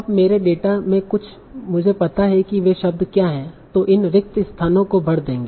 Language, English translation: Hindi, So now in my data, I know what are the words that will fill up these blanks